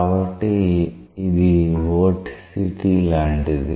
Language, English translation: Telugu, So, this is like the vorticity